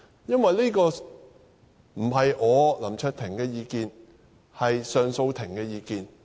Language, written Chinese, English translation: Cantonese, 這不是我林卓廷的意見，而是上訴庭的意見。, This is not my view the view of LAM Cheuk - ting but the view of the Court of Appeal